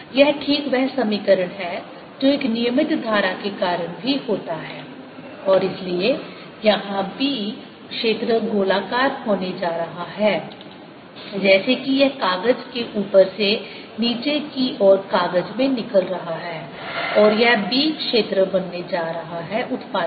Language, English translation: Hindi, this is precisely the equation that is due to a regular current also and therefore out here the b field is going to be circular like this, coming out of the paper on top, going into the paper at the bottom, and this b field is going to be produced